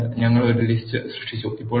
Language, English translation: Malayalam, So, we have created a list